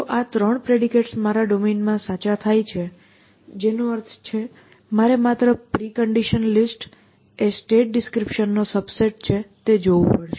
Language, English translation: Gujarati, So, if these 3 predicates happen to be true in my domain, which means of course, I have to just see the precondition list is a subset of my state description